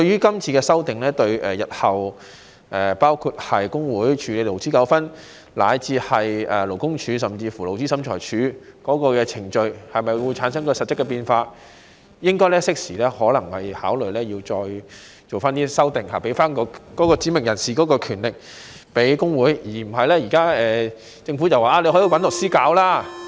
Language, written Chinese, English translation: Cantonese, 今次的修訂對日後工會處理勞資糾紛，以至勞工處甚至勞資審裁處的程序會否產生實質變化，政府應該適時考慮再作修訂，把指明人士的權力賦予工會，而不是現在政府所說，可以找律師處理。, The current legislative amendment will bring about substantive changes to the procedures of trade unions and even LD and LT in handling labour disputes in future . The Government should thus consider making further amendments in a timely manner so that the powers of specified persons can be given to trade unions instead of suggesting that we can engage lawyers just as what it is now doing